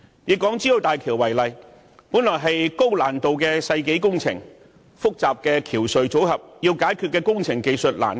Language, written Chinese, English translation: Cantonese, 以港珠澳大橋為例，這本是高難度的世紀工程，涉及複雜的橋隧組合，有很多須解決的工程技術難關。, Take HZMB as a case in point . This project is a centennial example of excellence in building techniques featuring a complicated bridge - cum - tunnel structure and involving a large number of yet - to - be - resolved technical challenges